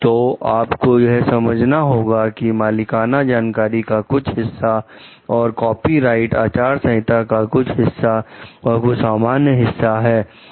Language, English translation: Hindi, So, you need to understand like some part is the proprietary knowledge and some is like copyrighted code and some part of it may be general